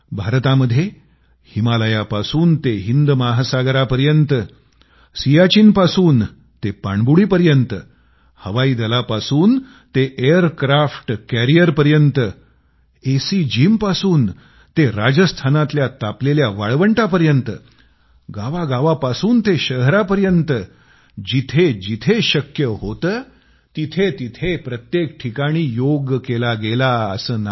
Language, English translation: Marathi, In India, over the Himalayas, across the Indian Ocean, from the lofty heights of Siachen to the depths of a Submarine, from airforce to aircraft carriers, from airconditioned gyms to hot desert and from villages to cities wherever possible, yoga was not just practiced everywhere, but was also celebrated collectively